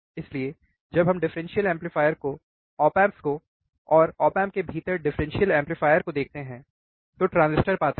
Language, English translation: Hindi, So, when we see differential amplifier op amp and differential amplifier within the op amp there are transistors